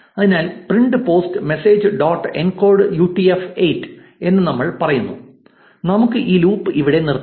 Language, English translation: Malayalam, So, we say print post message dot encode UTF 8 and let us break this loop here, so that we can focus on only one post for the output